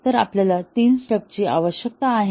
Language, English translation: Marathi, So, we need three stubs